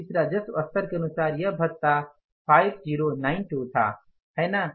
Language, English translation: Hindi, The allowance was as per the revenue level of this that is 5092